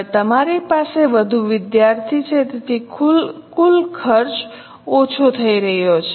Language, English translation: Gujarati, Now you are having more students so total cost is going down